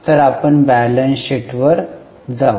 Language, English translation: Marathi, So, we will go to balance sheet